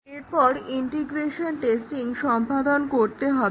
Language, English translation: Bengali, Now, let us look at integration testing